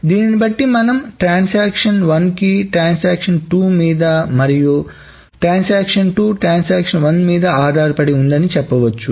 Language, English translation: Telugu, So, very simply, transaction 1 depends on transaction 2 and transaction 2 depends on transaction 1